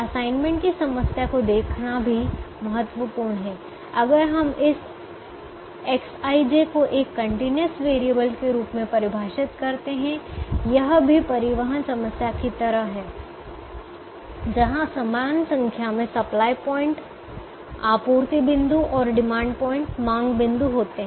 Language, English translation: Hindi, it is also important to note: the assignment problem, if we define this x, i, j to be a continuous variable, is also like a transportation problem where there are an equal number of supply points and demand points and each supply point supplies one unit and each demand point requires one unit